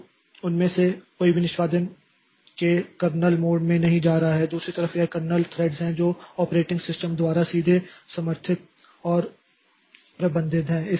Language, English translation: Hindi, On the other hand, this kernel threads they are supported by and managed directly by the operating system